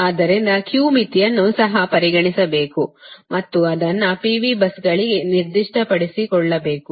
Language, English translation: Kannada, so q limit also you have to consider, and it has to be specified for p v buses, right